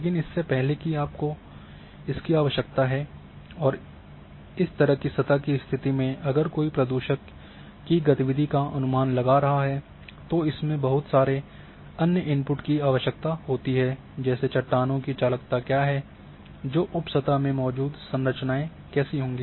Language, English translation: Hindi, But before that you require if if somebody is estimating this pollutant movement in such surface condition then lots of other input would require that what is the conductivity of rocks which are present in sub surface and what are the structures are there and so on so forth